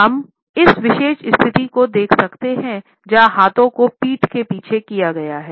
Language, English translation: Hindi, We can look at this particular position where hands have been held behind the back